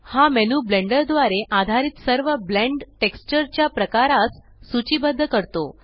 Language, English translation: Marathi, This menu lists all the texture Blend types supported by Blender